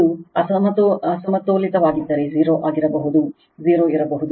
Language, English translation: Kannada, If it is unbalanced may be 0, may not be 0 right